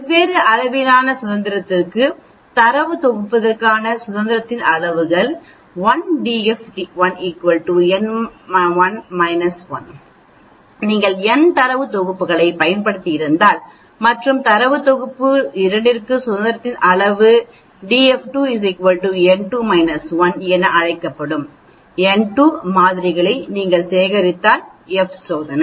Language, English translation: Tamil, For different degrees of freedom, the degrees of freedom for data set 1 is n 1 minus 1, if you have used n data sets and degrees of freedom for data set 2 is n 2 minus 1, if you have collected n 2 samples that is called the F test